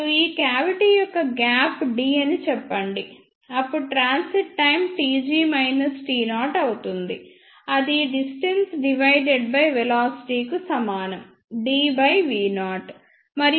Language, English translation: Telugu, And let us say the gap of this cavity is d, then the transit time will be t g minus t naught is equal to distance divided by velocity d divided by small v naught